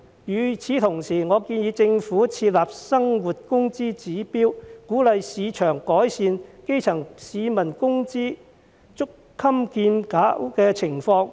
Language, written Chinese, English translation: Cantonese, 與此同時，我建議政府設立生活工資指標，鼓勵市場改善基層市民工資捉襟見肘的情況。, Meanwhile I would propose that the Government should put in place a living wage indicator to encourage the market to improve the situation where grass - roots employees can barely make ends meet with their wages